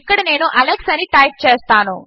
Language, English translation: Telugu, Here Ill type Alex